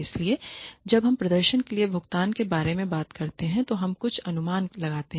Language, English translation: Hindi, So, when we talk about pay for performance, we make a few assumptions